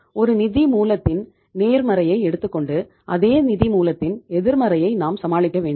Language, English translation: Tamil, You have to take the some positives of the one source and you have to say deal with some negatives of that source